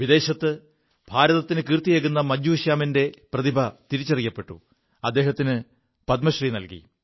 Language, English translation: Malayalam, The talent of Bhajju Shyam ji, who made India proud in many nations abroad, was also recognized and he was awarded the Padma Shri